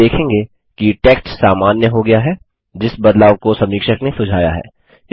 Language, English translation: Hindi, You will see that the text becomes normal which is the change suggested by the reviewer